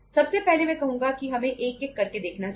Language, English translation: Hindi, First of all I would say, letís take one by one